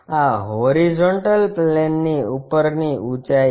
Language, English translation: Gujarati, This is height above horizontal plane